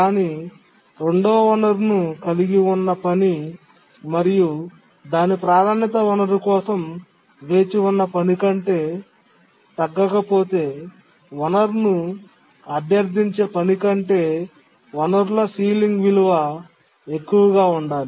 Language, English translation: Telugu, But then the task holding the second resource, it priority does not drop below the task waiting for the resource, because the resource ceiling value must be greater than the task that is requesting the resource